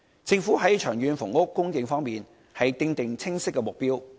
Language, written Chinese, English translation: Cantonese, 政府在長遠房屋供應方面，訂出清晰的目標。, The Government has set clear targets regarding long - term housing supply